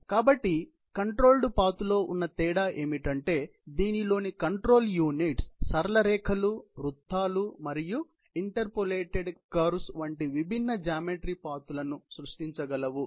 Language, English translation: Telugu, So, only difference in the controlled path is that the control equipment can generate paths of different geometry, such as straight lines, circles and interpolated curves